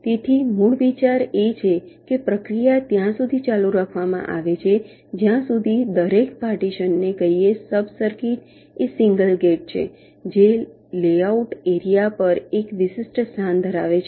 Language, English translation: Gujarati, so the basic idea is that the process is continued till, let say, each of the partition sub circuit is single gate which has a unique place on the layout area